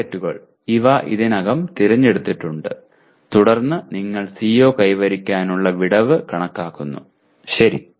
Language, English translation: Malayalam, Targets, these are already selected and then you compute the CO attainment gap, okay